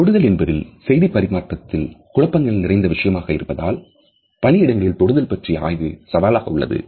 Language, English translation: Tamil, Examining touch in a workplace is challenging as touch is a complex as well as fuzzy aspect related with our communication